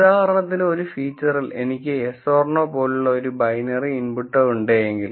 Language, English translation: Malayalam, One simple example is if I have a binary input like a yes or no for a feature